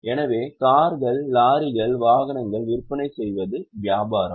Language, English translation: Tamil, So, selling cars, trucks, vehicles is their business